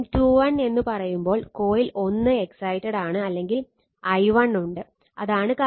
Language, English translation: Malayalam, When you say M 2 1 right that means, coil 1 is excited by some current i 1 right, and that is the thing